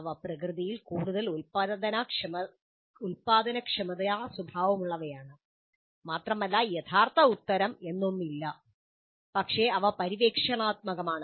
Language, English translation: Malayalam, So they are more generative in nature and there is nothing like a true answer but they are exploratory in nature